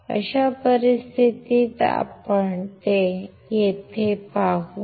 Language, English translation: Marathi, In that case we will see here that